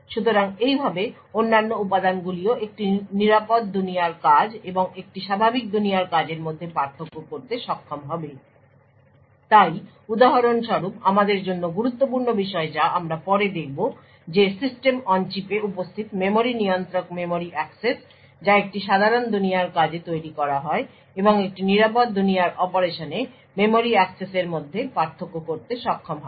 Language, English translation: Bengali, So thus other components would also be able to distinguish between a secure world operation and a normal world operation so for example and important thing for us or we will see later is that memory controller present in the System on Chip would be able to distinguish between memory access which is made to a normal world operation and a memory access made to a secure world operation